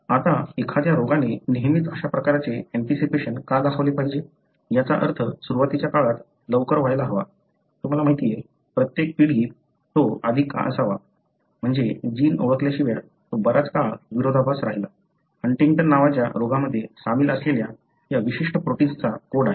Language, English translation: Marathi, Now, why should, a disease invariably express such kind of anticipation, meaning should become earlier at onset, you know, every generation why should it be earlier So, that is, it remained a paradox for a long time, until they identified the gene that codes for this particular protein which is involved in the disease called Huntington